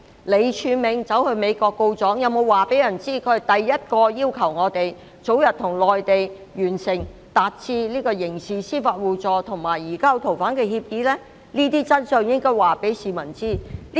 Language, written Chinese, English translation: Cantonese, 李柱銘到美國告狀，但他有否告訴大家第一個要求我們早日與內地達成刑事司法互助和移交逃犯協議的人是誰？, While taking his grievances to the United States did Martin LEE make clear who was the first person requesting our expeditious conclusion of an agreement on mutual legal assistance in criminal matters and the rendition of fugitive offenders with Mainland China?